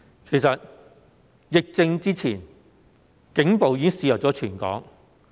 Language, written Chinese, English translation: Cantonese, 其實，在疫症發生前，警暴已經肆虐全港。, As a matter of fact police brutality has already raged across the territory before the epidemic